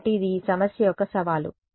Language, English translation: Telugu, So, this is the challenge of this problem and